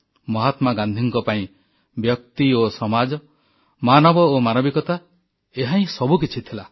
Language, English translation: Odia, For Mahatma Gandhi, the individual and society, human beings & humanity was everything